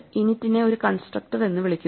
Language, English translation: Malayalam, So, init is what is called a constructor